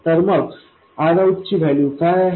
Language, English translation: Marathi, So, what is the value of R out